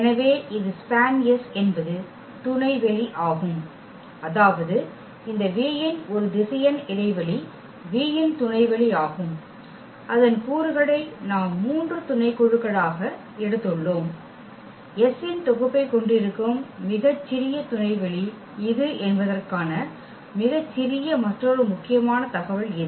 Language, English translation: Tamil, So, this is span S is the subspace meaning this a vector space of this V the subspace of V whose elements we have taken as three subsets and this is the smallest another important information that this is the smallest subspace which contains this set S